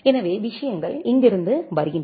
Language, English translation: Tamil, So, the things come from here